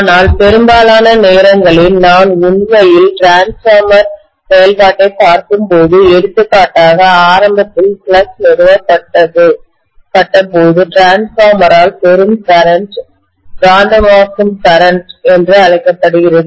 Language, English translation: Tamil, But most of the times, when we actually look at the transformer functioning, for example initially when the flux is established, the current drawn by the transformer is known as the magnetizing current